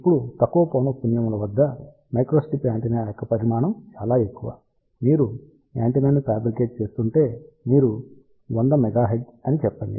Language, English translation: Telugu, Now, size of the microstrip antenna is large at lower frequency, you can think about if we are designing antenna let us say at 100 megahertz